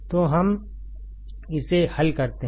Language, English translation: Hindi, So, let us solve it